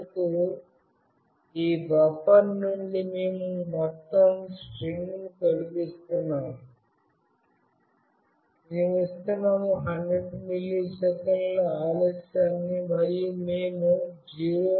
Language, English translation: Telugu, And finally, from this buffer we are removing the entire string, we are giving a 100 milliseconds delay, and we return 0